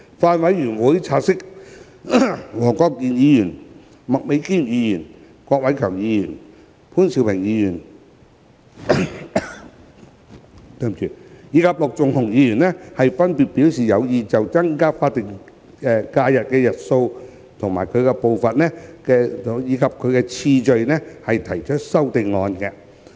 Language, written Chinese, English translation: Cantonese, 法案委員會察悉，黃國健議員、麥美娟議員、郭偉强議員、潘兆平議員及陸頌雄議員分別表示有意就增加法定假日日數的步伐及次序提出修正案。, The Bills Committee noted that Mr WONG Kwok - kin Ms Alice MAK Mr KWOK Wai - keung Mr POON Siu - ping and Mr LUK Chung - hung had respectively indicated their intention to propose amendments to the Bill to amend the pace and order of increasing the additional SHs